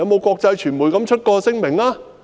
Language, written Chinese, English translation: Cantonese, 國際傳媒曾否發出聲明？, Has any international media issued any statement?